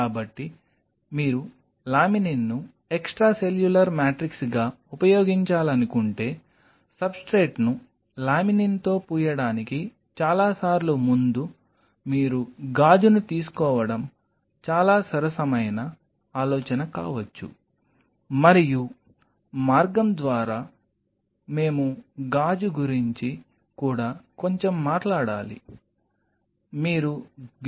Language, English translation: Telugu, So, many a times before you coat the substrate with laminin if you want to use laminin as the extracellular matrix, it may be a very fair idea that you take the glass and by the way we have to talk a little bit about the glass also